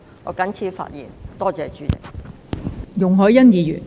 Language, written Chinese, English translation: Cantonese, 我謹此陳辭，多謝代理主席。, I so submit . Thank you Deputy President